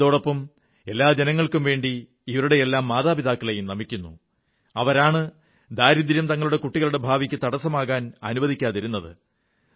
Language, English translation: Malayalam, Along with this, I also, on behalf of all our countrymen, bow in honouring those parents, who did not permit poverty to become a hurdle for the future of their children